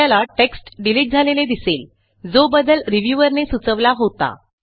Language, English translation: Marathi, You will see that the text gets deleted which is the change suggested by the reviewer